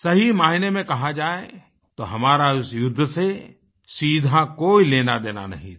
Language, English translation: Hindi, Rightly speaking we had no direct connection with that war